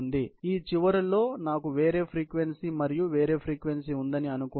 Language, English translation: Telugu, So, if supposing I had a different frequency on this end and different frequency here